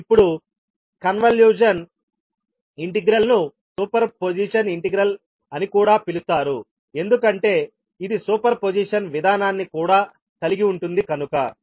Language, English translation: Telugu, So you can now see that the convolution integral can also be called as the super position integral because it contains the super position procedure also